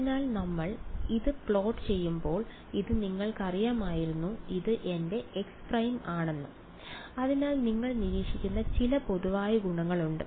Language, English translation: Malayalam, So, this was the you know when we plot it looks like something like this x prime and this is my x prime and so there are some general properties that you will observe